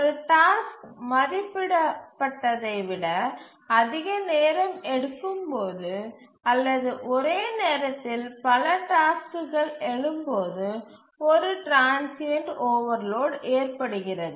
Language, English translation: Tamil, A transient overload occurs when a task takes more time than it is estimated or maybe too many tasks arise at some time instant